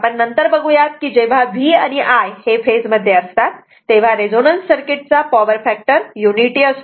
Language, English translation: Marathi, Since later will see this, since V and I are in phase the power factor of a resonant circuit is unity right